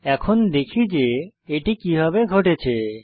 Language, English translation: Bengali, Now let us find out how this happened